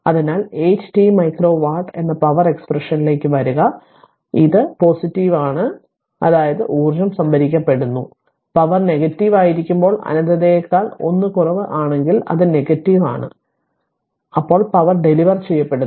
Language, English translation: Malayalam, So, if you come to the power expression p that 8 t micro watt, so it is positive that means, energy is being stored and when power is negative when t greater than 1 less than infinity it is negative, that means power is being delivered